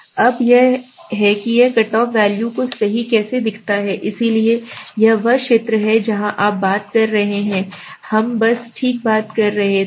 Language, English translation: Hindi, Now this is how it looks the cut off value right, so this is then area where you are talking, we were just talking about okay